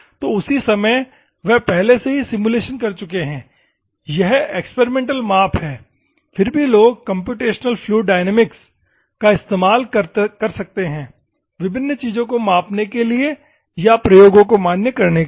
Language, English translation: Hindi, So, at the same time, they have already simulated what is this is experimental measurement is there, then also people can do computational fluid dynamics to measure various things that required or to validate the experiments